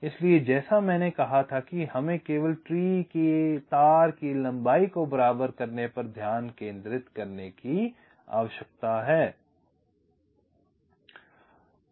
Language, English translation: Hindi, so here, as i had said, we need to concentrate only on equalizing the wire lengths of the tree